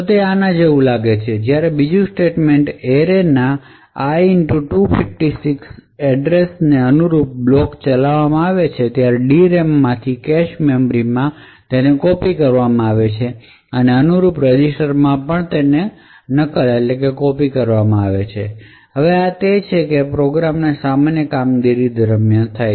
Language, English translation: Gujarati, So it would look something like this, when the second statement gets executed a particular block corresponding to array[i * 256] would be copied from the DRAM into the cache memory and also be copied into the corresponding general purpose register, now this is what happens during the normal operation of the program